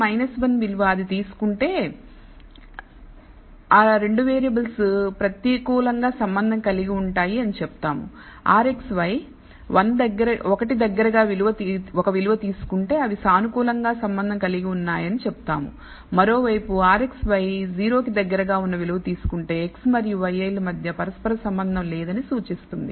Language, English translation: Telugu, Minus 1 if it takes a value we say that the 2 variables are negatively correlated if r xy takes a value close to one we say they are positively correlated, on the other hand if r xy happens to value close to 0 it indicates that x and y i have no correlation between them